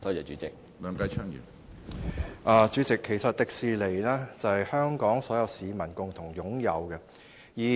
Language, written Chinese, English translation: Cantonese, 主席，迪士尼其實是所有香港市民共同擁有的資產。, President Disneyland is actually an asset jointly owned by all the people of Hong Kong